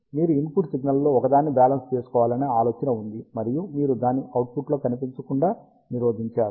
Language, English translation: Telugu, The idea was you balance out one of the input signals, and you prevent it to appear in the output